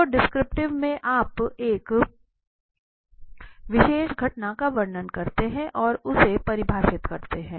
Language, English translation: Hindi, So it is here in the descriptive that you define and you try to describe a particular phenomena